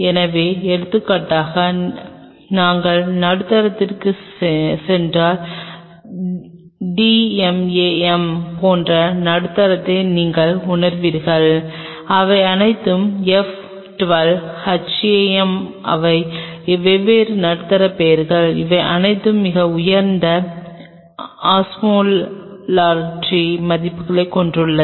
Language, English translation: Tamil, So, for example, once we will go to the medium you will realize medium like d m a m all these have F 12, HAM these are different medium names they all have pretty high osmolarity values